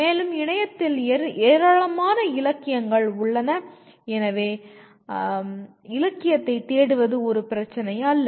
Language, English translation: Tamil, And there is a huge amount of literature on the internet, so searching for literature is not an issue